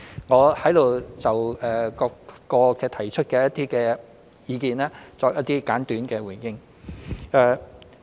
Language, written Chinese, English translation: Cantonese, 我在此就各位提出的意見作一些簡短的回應。, I will now briefly respond to the views of Members